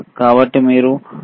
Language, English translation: Telugu, So, you can see 2